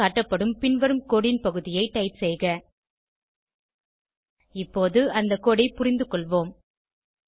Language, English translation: Tamil, Type the following piece of code as shown on the screen Let us understand the code now